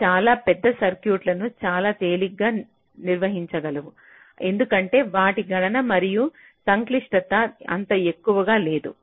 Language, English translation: Telugu, they can handle very large circuits quite easily because their computation and complexity is not so high